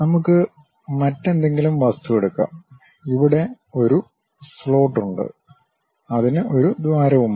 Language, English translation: Malayalam, Let us take some other object, having a slot here and it has a hole there also